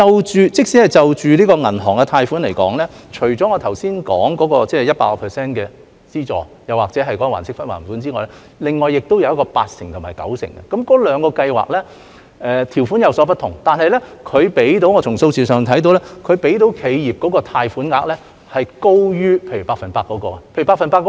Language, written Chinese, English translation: Cantonese, 即使就銀行貸款而言，除了我剛才說的百分百特惠低息貸款又或還息不還本之外，還有八成和九成信貸擔保，那兩個計劃的條款有所不同，但從數字上看到，提供給企業的貸款額是高於例如百分百特惠低息貸款的。, Even in respect of bank loans in addition to the special 100 % low - interest concessionary loan or principal payment holidays which I mentioned earlier there are the 80 % and 90 % guarantees . Although the two schemes are different in terms and conditions figures show that the loan amounts offered to enterprises are higher than say those of the special 100 % low - interest concessionary loan